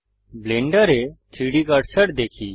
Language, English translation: Bengali, Let us see the 3D cursor in Blender